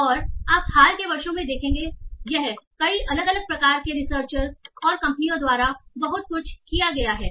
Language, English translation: Hindi, And you will see in the recent years this has been, this is being done a lot and lot by many different different sort of researchers and companies